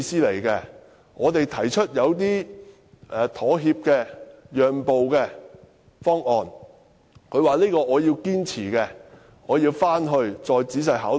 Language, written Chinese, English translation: Cantonese, 當我們提出一些妥協或讓步方案時，他說要堅持自己的意見，要求回去再仔細考慮。, When we suggested making certain compromises or concessions he said that he must insist on his own views and that he would go back to think over the matter carefully